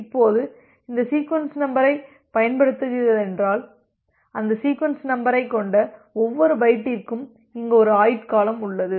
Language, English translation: Tamil, Now, if it is using this set of sequence numbers, so every byte with that sequence number they have a life time here this life time is T